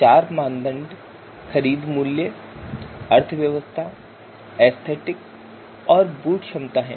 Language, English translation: Hindi, So we can see the purchase price, economy, aesthetics and boot capacity